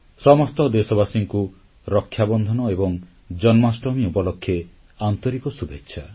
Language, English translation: Odia, Heartiest greetings to all countrymen on the festive occasions of Rakshabandhanand Janmashtami